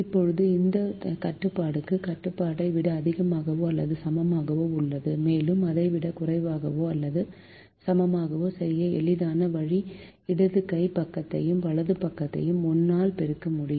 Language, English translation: Tamil, now this constraint is a greater than or equal to constraint, and an easy way to make it less than or equal to is to multiply the left hand side and a right hand side by minus one